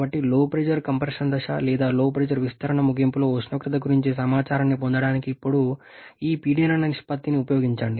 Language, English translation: Telugu, So use this pressure ratio now to get the information about the temperature at the end of LP compression stage or LP expansion I should say